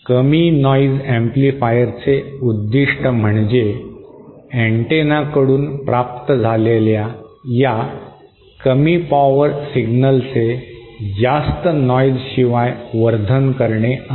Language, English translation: Marathi, The purpose of the low noise amplifier is to boost this small power signal received from the antenna without contributing too much noise